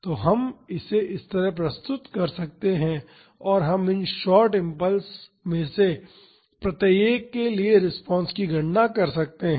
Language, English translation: Hindi, So, we can represent it like this and we can calculate the response for each of these short impulses